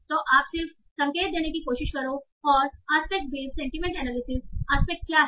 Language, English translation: Hindi, So we will just try to give a hints on what is the aspect based sentiment analysis